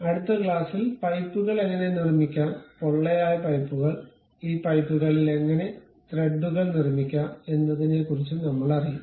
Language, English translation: Malayalam, In the next class, we will know about how to make pipes, hollow pipes, how to make threads over these pipes